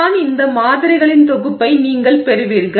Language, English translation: Tamil, So, this is how you would get this set of samples